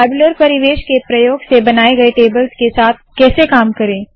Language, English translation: Hindi, How do we work with the tables created using the tabular environment